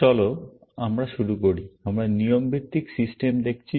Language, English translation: Bengali, Let us begin; we are looking at rule based systems